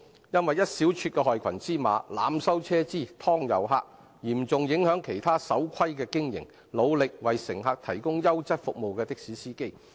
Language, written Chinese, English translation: Cantonese, 一小撮害群之馬濫收車資、"劏遊客"，會嚴重影響其他守規經營、努力為乘客提供優質服務的的士司機。, A small group of black sheep of the taxi trade over - charging fares and ripping off tourists will seriously affect other law - abiding taxi drivers who endeavour to provide quality services to passengers . As the saying goes A good deed goes unnoticed but scandal spreads fast